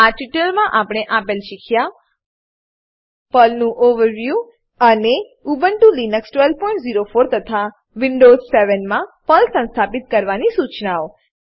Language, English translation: Gujarati, In this tutorial, we have learrnt: Overview of PERL and, Installation instructions of PERL for Ubuntu Linux 12.04 and Windows 7